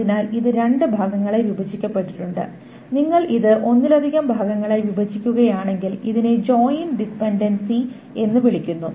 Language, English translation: Malayalam, And if you break it up into multiple parts, then this is called joint dependency